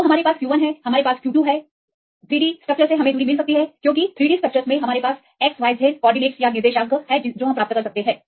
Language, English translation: Hindi, So, now we have the q 1, we have the q 2; so, with the distance you get from the 3D structures because in the 3D structures; we get the xyz coordinates